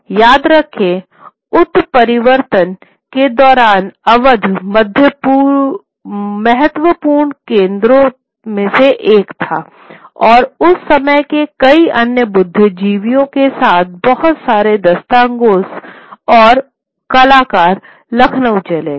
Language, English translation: Hindi, Remember, one of the important centers during the, during the mutiny was Awad, and a lot of these dastangos, along with many other intellectuals of the times, move to, and artists of the times, moved to Lucknow